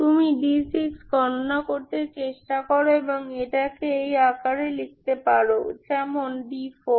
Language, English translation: Bengali, You try to calculate d 6 and put it in this form